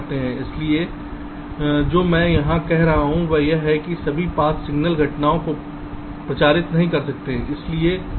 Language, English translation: Hindi, so what i am saying here is that not all paths can propagate signal events